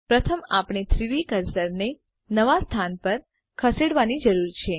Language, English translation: Gujarati, First we need to move the 3D cursor to a new location